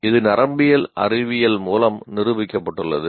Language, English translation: Tamil, That much has been established by neuroscience